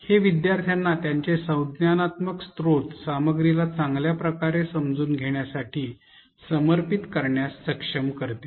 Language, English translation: Marathi, This enables learners to devote their cognitive resources to better understanding of the content